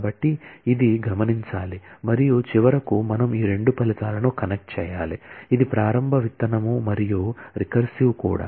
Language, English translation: Telugu, So, that is to be noted and finally, we need to connect these two results, which is the initial start seed and the recursive one